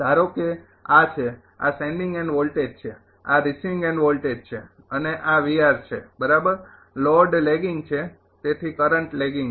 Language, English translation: Gujarati, Suppose this is r this is sending end voltage this is receiving end voltage and this is V r right and load is lagging so current is lagging